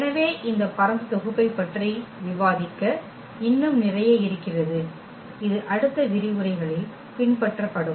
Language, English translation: Tamil, So, there is a lot more to discuss on this spanning set and that will follow in the next lectures